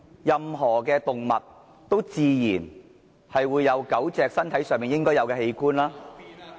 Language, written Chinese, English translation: Cantonese, 任何狗隻也自然會有狗隻身上應有的器官。, Any dog will naturally have the body parts of a dog